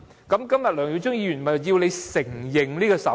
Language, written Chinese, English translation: Cantonese, 今天梁耀忠議員便是要當局承認手語。, Today Mr LEUNG Yiu - chung aims precisely to ask the authorities to recognize sign language